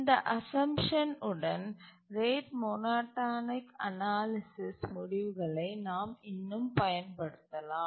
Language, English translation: Tamil, And with this assumption we can still apply the rate monotonic analysis results